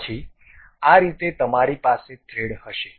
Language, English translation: Gujarati, Then, you will have a thread in this way